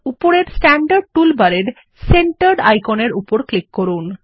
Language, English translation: Bengali, Click on Centered icon in the Standard toolbar at the top